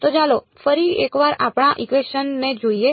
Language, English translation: Gujarati, So, let us just look at our equation once again